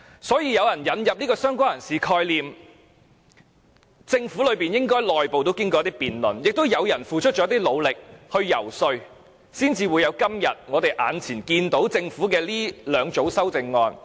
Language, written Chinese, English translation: Cantonese, 所以，引入"相關人士"的概念，政府內部應該經過辯論，亦有人努力游說，才得出現時政府提交的兩組修正案。, Hence the concept of related person should have gone through discussions and great persuasion efforts before being introduced in the two sets of amendments proposed by the Government